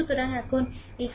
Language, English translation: Bengali, So, now, this is what